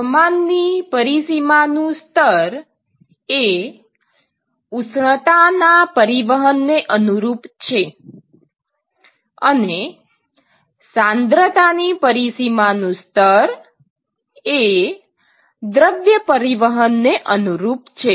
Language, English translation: Gujarati, Temperature boundary layer corresponds to the heat transport, temperature boundary layer corresponds to heat transport